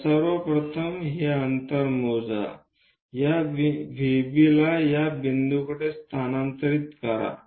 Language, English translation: Marathi, So, first of all measure this distance transfer this V B to this point